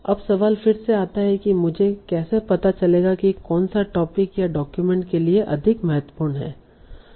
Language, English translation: Hindi, Now the question again comes, how do I know which one are more important to the topic or the theme of this document